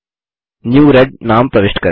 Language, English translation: Hindi, Lets enter the name New red